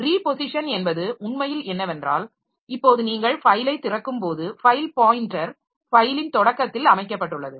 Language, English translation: Tamil, So, reposition actually means that if this is a file, if this is a file, if this is a file now when you open the file, the file pointer is set at the beginning of the file